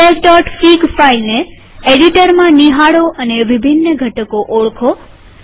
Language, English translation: Gujarati, View the file feedback.fig in an editor, and identify different components